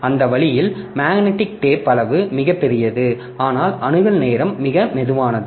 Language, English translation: Tamil, So, that way magnetic tape size is huge but access time is the slowest